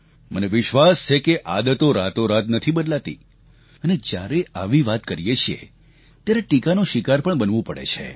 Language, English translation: Gujarati, I know that these habits do not change overnight, and when we talk about it, we invite criticism